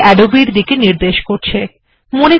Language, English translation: Bengali, So it is pointing to Adobe